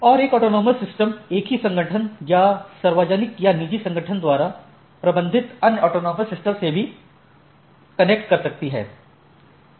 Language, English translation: Hindi, And an autonomous system can collect connect to other autonomous systems managed by the same organization or other organization public or private